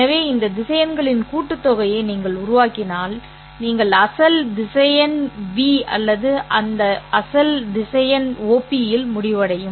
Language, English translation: Tamil, So, if you form the sum of these vectors, you will end up with the original vector V or this original vector OP is V in our case